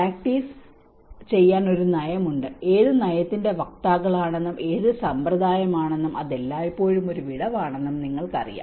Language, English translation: Malayalam, There is a policy to practice; you know what policy advocates and what practice perceives it is always a gap